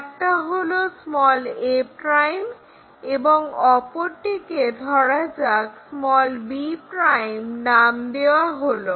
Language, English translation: Bengali, Now, join these two line a ' and let us call this one b 1 '